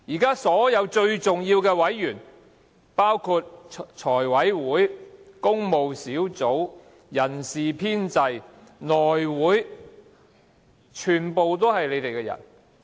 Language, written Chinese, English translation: Cantonese, 現時所有最重要的委員，包括財務委員會、工務小組委員會、人事編制小組委員會及內務委員會，全部都是你們的人。, At present the most important Panels committees and subcommittees including the Finance Committee the Public Works Sub - committee the Establishment Sub - committee and the House Committee are all controlled by your people